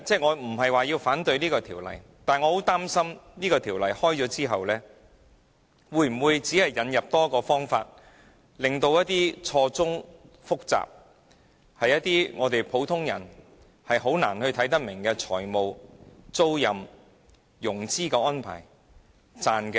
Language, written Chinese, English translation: Cantonese, 我無意反對是項《條例草案》，但我擔心《條例草案》獲得通過後，可能會引入多一個方法，令一些錯綜複雜，普通人難以明白的財務、租賃及融資安排得以蒙混過關。, I have no intention to vote against the Bill but I am worried that after the passage of the Bill an additional means may be available for muddling through with some very complicated financial leasing and financing arrangements not comprehensible to ordinary people